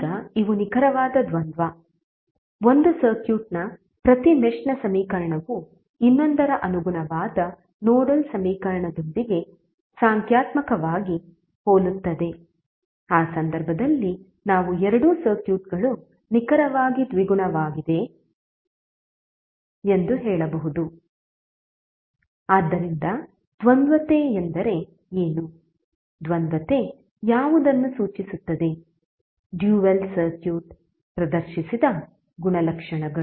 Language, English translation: Kannada, Now this are exact dual, each mesh equation of one circuit is numerically identical with the corresponding nodal equation of the other, in that case we can say that both of the circuits are exactly dual, so what does duality means, duality refers to any of the properties exhibited by the dual circuit